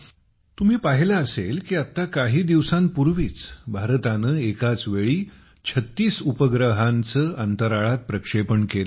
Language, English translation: Marathi, Friends, you must have seen a few days ago, that India has placed 36 satellites in space simultaneously